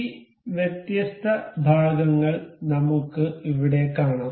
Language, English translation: Malayalam, We can see this different parts here